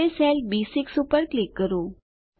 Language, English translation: Gujarati, Now click on the cell B6